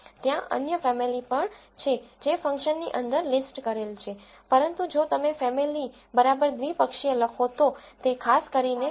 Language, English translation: Gujarati, There are also other families which are listed inside the function but if you write family equal to binomial then it specifically corresponds to logistic regression